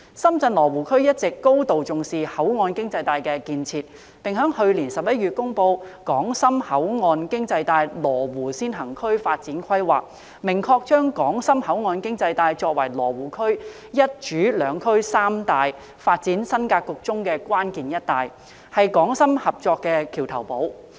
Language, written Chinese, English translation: Cantonese, 深圳羅湖區一直高度重視口岸經濟帶的建設，並在去年11月公布《深港口岸經濟帶羅湖先行區發展規劃》，明確將港深口岸經濟帶作為羅湖區"一主兩區三帶"發展新格局中的關鍵"一帶"，是港深合作的橋頭堡。, The authorities of the ShenzhenLo Wu region have all along attached great importance to the development of a port economic belt . In November last year they issued the development plan for establishing Lo Wu as a pilot region in the ShenzhenHong Kong port economic belt . The plan clearly indicates that the Hong KongShenzhen port economic belt will be an essential belt in the one core two regions three belts new development pattern and the bridgehead for Hong Kong - Shenzhen cooperation